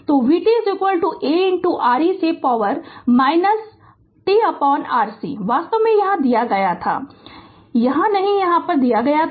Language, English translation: Hindi, So, vt is equal to A into your e to the power minus t upon R C, actually it was given here no here here it was given here right